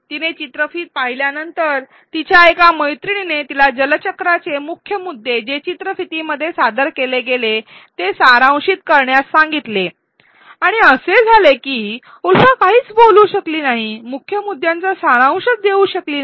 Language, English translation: Marathi, After she watched the video one of her friends asked her to summarize the key points of the water cycle which was presented in the video and it turned out that Ulfa could not articulate she could not summarize the key points